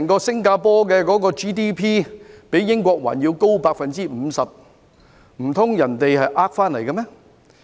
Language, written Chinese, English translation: Cantonese, 新加坡整體的 GDP 較英國還要高 50%， 難道那是騙回來的嗎？, The per capita GDP of Singapore is 50 % higher than that of the United Kingdom . Has Singapore achieved that through deceitful means?